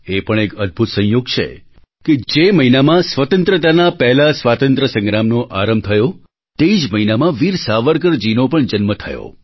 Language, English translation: Gujarati, It is also an amazing coincidence that the month which witnessed the First Struggle for Independence was the month in which Veer Savarkar ji was born